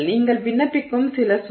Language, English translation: Tamil, So, some load you are applying